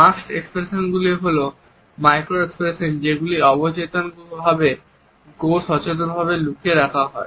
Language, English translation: Bengali, Masked expressions are also micro expressions that are intended to be hidden either subconsciously or consciously